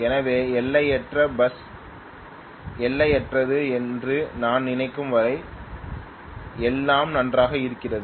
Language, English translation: Tamil, So what I am trying to tell you basically is the infinite bus is infinite as long as I think things are all fine